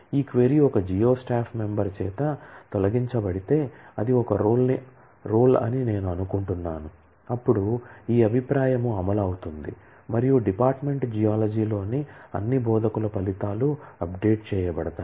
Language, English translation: Telugu, And if this query is fired by a geo staff member, which I am assuming is a role then this view will get executed and the results of all instructors in the department geology will be update